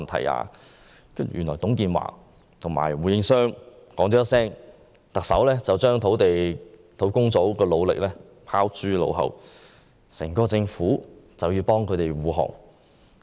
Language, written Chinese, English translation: Cantonese, 原來只是因為董建華問了胡應湘一句話，特首便把專責小組的努力拋諸腦後，整個政府都要為他們護航。, It turned out that owing to a question put to Gordon WU by TUNG Chee - hwa the Chief Executive has discarded all the efforts made by the Task Force and the whole Government has to defend this project